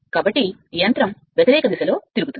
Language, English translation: Telugu, So, machine will rotate in the opposite direction right